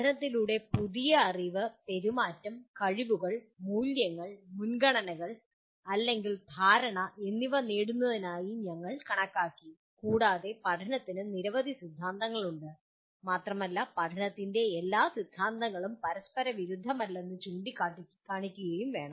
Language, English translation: Malayalam, We considered learning is acquiring new knowledge, behavior, skills, values, preferences or understanding and there are several theories of learning and it should be pointed out all the theories of learning are not mutually exclusive